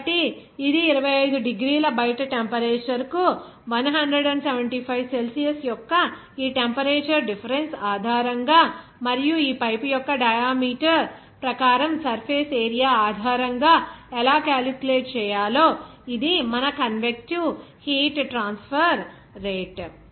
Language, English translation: Telugu, So, this is your convective heat transfer rate based on this temperature difference of 175 to the outside temperature of 25 degree Celsius and also the surface area as per this diameter of this pipe, how it is to be calculated